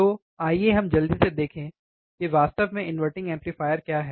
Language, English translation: Hindi, Now, here today we will be understanding what exactly an inverting amplifier is